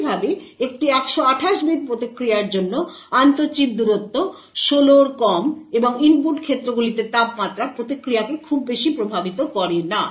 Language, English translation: Bengali, Similarly, intra chip distance is less than 16 for a 128 bit response and input cases the temperature does not affect the response much